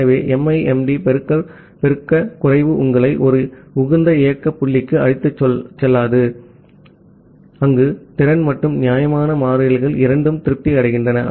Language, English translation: Tamil, So, MIMD multiplicative increase multiplicative decrease does not lead you to a to a optimal operating point, where both the capacity and fairness constants are satisfied